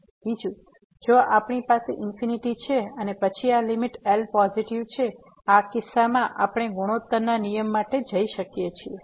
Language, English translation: Gujarati, Second, if we have infinity and then this limit is positive, in this case we can go for the product rule